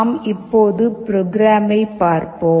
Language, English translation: Tamil, Now let us look at the program